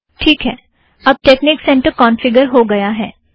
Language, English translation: Hindi, Alright, now texnic center is configured